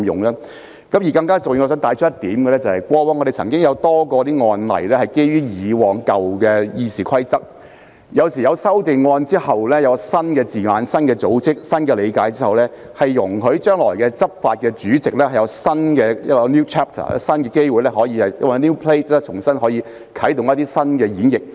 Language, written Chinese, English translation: Cantonese, 更加重要的是，我想帶出一點：過往不少案例均基於舊有《議事規則》處理，在作出修訂並引入新字眼、新結構及新理解之後，將可容許日後執法的主席有一個 new chapter 及新機會重新啟動一種全新的演繹。, More importantly I would like to highlight one point Not a few cases in the past were handled on the basis of the old Rules of Procedure RoP . After RoP is amended with the introduction of new wording new structure and new understanding the President when enforcing the rules in future will be allowed to have a new chapter and new opportunity to kick off a brand new kind of interpretation